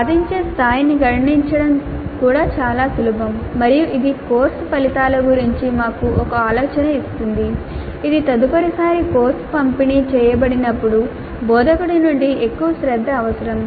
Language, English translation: Telugu, So computing the attainment level is also relatively simple and it does give as an idea as to which are the course outcomes which need greater attention from the instructor the next time the course is delivered